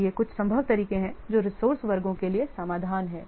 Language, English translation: Hindi, Then we will little bit say what the resource classes